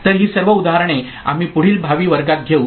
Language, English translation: Marathi, So, all those examples we shall take up in subsequent future classes